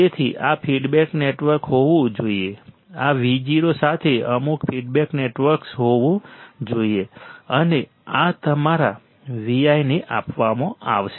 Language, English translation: Gujarati, So, this feedback network should be there; some feedback network should be there right to with this V o should be fed, and this would be fed to your V i